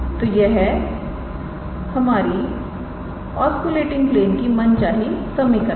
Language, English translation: Hindi, So, this is the required equation of the of the osculating plane